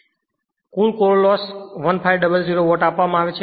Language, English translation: Gujarati, Now, total core loss is given 1500 watt